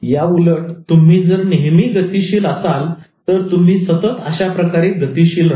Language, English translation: Marathi, And on the other hand, if you are in a state of motion, you always tend to continue with that kind of motion